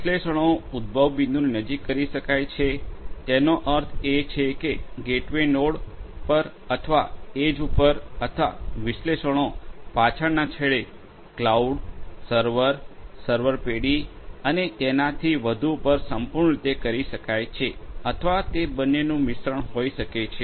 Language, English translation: Gujarati, The analytics could be performed close to the point of generation; that means, at the gateway node or at the edge or the analytics could be performed completely at the back end, in the cloud, the server, the server firm and so on or it could be a mix of both